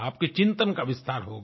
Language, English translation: Hindi, Your thinking will expand